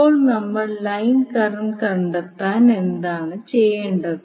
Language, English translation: Malayalam, Now to find out the line current what we have to do